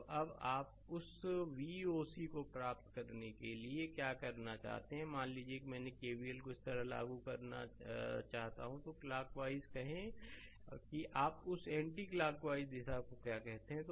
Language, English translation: Hindi, So now, what you do to get that your to want to get that V o c; suppose I want to apply KVL like this, say clockwise your what you call that anti clockwise direction right